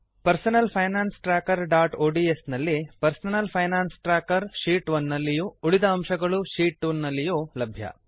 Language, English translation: Kannada, In Personal Finance Tracker.ods the personal finance tracker is in Sheet 1 and the rest of the content is in Sheet 2